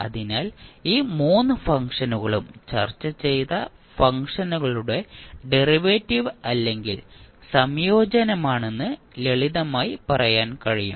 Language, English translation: Malayalam, So, you can simply say that these 3 functions are either the derivative or integration of the functions which we discussed